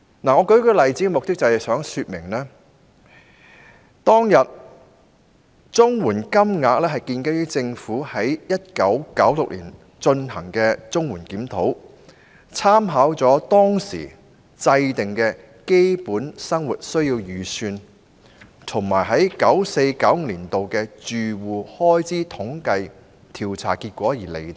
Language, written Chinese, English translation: Cantonese, 我舉例是想說明，當時的綜援金額是建基於政府在1996年進行的綜援檢討，參考了當時制訂的"基本生活需要預算"和 1994-1995 年度的住戶開支統計調查結果而釐定。, I have cited this example just to illustrate that the CSSA rates at that time were determined on basis of the review of CSSA conducted by the Government in 1996 in which reference was drawn from the Basic Needs approach formulated at that time and the results of the 1994 - 1995 Household Expenditure Survey